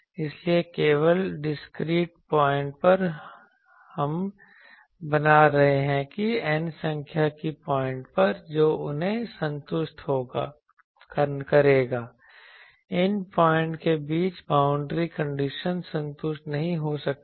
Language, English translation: Hindi, So, only at discrete points we are making that on n number of points will satisfy these between these points the boundary conditions may not be satisfied